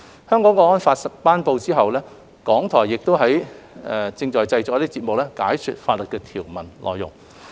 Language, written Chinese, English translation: Cantonese, 《香港國安法》頒布以後，港台亦正在製作節目，解說法例的條文內容。, Since the promulgation of the Hong Kong National Security Law RTHK has introduced programmes to explain its provisions